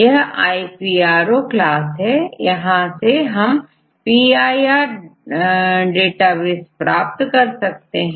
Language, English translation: Hindi, So, now this is the iPro class we can get from the PIR database